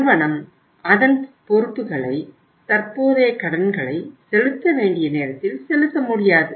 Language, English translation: Tamil, The company is not able to serve its liabilities, current liabilities at the time when they became due